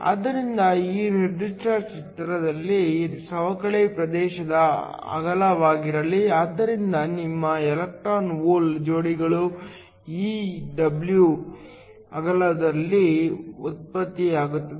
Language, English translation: Kannada, So, In this particular figure, let w be the width of the depletion region so your electron hole pairs are generated within this width W